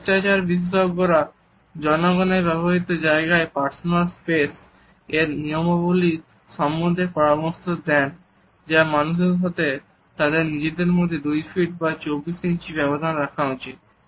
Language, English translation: Bengali, The rules of personal space in public places etiquette experts suggest that human beings should keep 2 feet of space or 24 inches between them